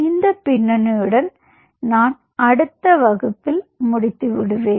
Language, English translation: Tamil, so with this background, i will close in the class